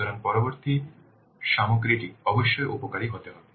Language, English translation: Bengali, So the next content must be benefits